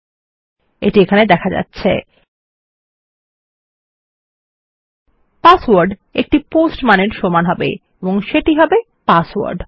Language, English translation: Bengali, password will equal a POST value and that will be password